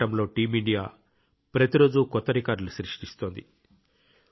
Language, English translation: Telugu, Team India is making new records everyday in this fight